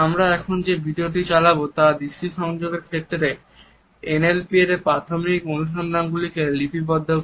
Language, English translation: Bengali, The video which we would play right now encapsulates the basic findings of NLP as far as eye contact is concerned